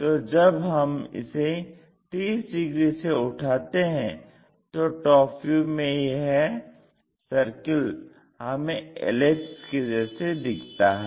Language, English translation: Hindi, So, when we ah lift this by 30 degrees, the complete circle looks like an ellipse, it looks like an ellipse here